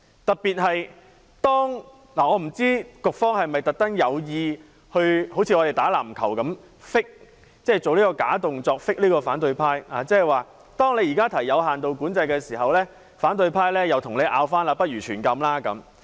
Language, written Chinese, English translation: Cantonese, 我不知道局方是否像我們打籃球般，故意 fake 這個假動作，去 fake 反對派。當你現時提出有限度管制，反對派便反駁你，反建議實行全禁！, I am not sure whether the Administration is making fake movements to trick the opposition camp as if trying to trick the opposing team when playing basketball expecting the opposition camp to raise objection when a partial regulation is proposed and then the Administration could put forward a counter proposal of a total ban